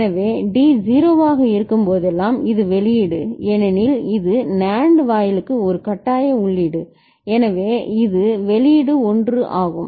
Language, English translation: Tamil, So, whenever D is 0 this output is, because it is a forcing input for the NAND gate, so this output is 1